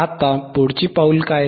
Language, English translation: Marathi, Now, what is the next step